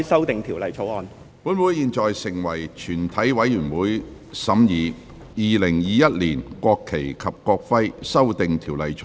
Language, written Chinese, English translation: Cantonese, 本會現在成為全體委員會，審議《2021年國旗及國徽條例草案》。, This Council now becomes committee of the whole Council to consider the National Flag and National Emblem Amendment Bill 2021